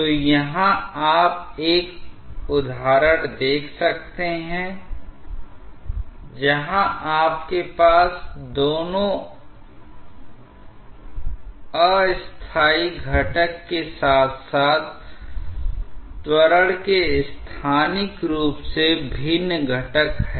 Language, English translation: Hindi, So, here you can see an example where you have both the temporal component as well as the spatially varying component of the acceleration